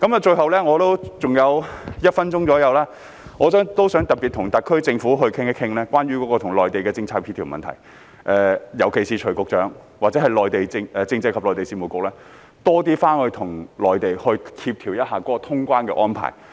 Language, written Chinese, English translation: Cantonese, 最後，我尚餘約1分鐘，我想特別與特區政府討論關於與內地的政策協調的問題，尤其是徐副局長或政制及內地事務局應多回去內地，與他們協調通關的安排。, We have worked hard in this regard . Finally with the one minute or so left I would like to discuss with the SAR Government in particular the issue of policy coordination with the Mainland . Under Secretary Dr CHUI or the Constitutional and Mainland Affairs Bureau should go to the Mainland more often to coordinate with them the arrangements for resuming cross - boundary travel